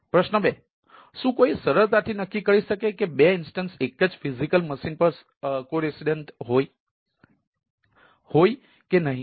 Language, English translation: Gujarati, question two: can anyone, can one easily determine if two instances are co resident on the same physical machine